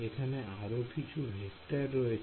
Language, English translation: Bengali, So, let us draw a vector right